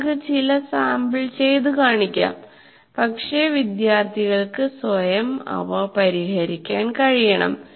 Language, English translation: Malayalam, You may solve some sample, but the students should be able to solve those problems by themselves